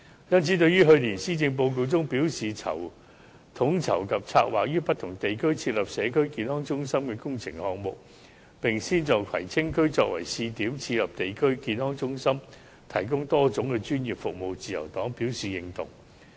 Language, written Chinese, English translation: Cantonese, 故此，對於去年施政報告表示，統籌及策劃於不同地區設立社區康健中心工程項目，並先在葵青區作為試點，設立地區康健中心，提供多種專業服務，自由黨表示認同。, Therefore regarding the proposal in the Policy Address of last year on coordinating and planning the works projects for the establishment of Community Health Centres in various districts and setting up a District Health Centre in Kwai Tsing on a pilot basis for providing various professional services the Liberal Party will give its approval